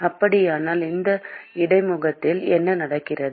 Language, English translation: Tamil, So what is happening at this interface